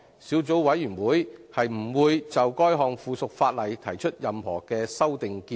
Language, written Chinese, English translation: Cantonese, 小組委員會不會就該項附屬法例提出任何修訂建議。, The Subcommittee will not propose any amendment to this item of subsidiary legislation